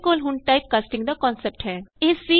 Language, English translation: Punjabi, We now have the concept of typecasting